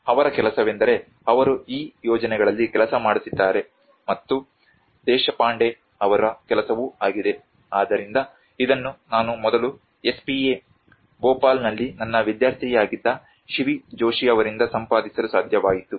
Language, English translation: Kannada, \ \ And his work has been, he has been working on this projects and also Deshpande\'eds work, so this I have able to procure from Shivi Joshi\'eds, who was my student earlier in SPA Bhopal